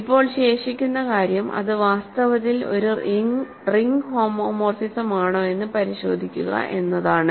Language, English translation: Malayalam, Now, the remaining thing is to check that it is in fact, a ring homomorphism